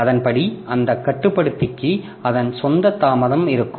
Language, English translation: Tamil, So, accordingly that controller will have some, have its own delay